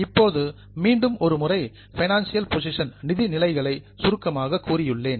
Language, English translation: Tamil, Now once again I have summarized the financial positions